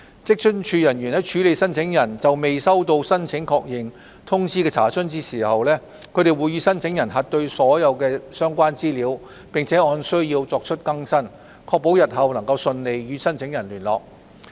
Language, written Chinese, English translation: Cantonese, 職津處人員在處理申請人就未收到申請確認通知的查詢時，會與申請人核對所有相關資料，並按需要作出更新，確保日後能順利與申請人聯絡。, When handling enquiries of those applicants who have not received any acknowledgement WFAOs staff will verify all the relevant information with the applicants and make the necessary update to ensure that the applicants can be reached in future